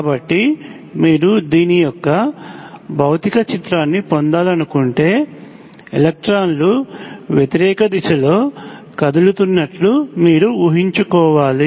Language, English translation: Telugu, So you should if you want to get a physical picture of this, you should imagine electrons moving in the opposite direction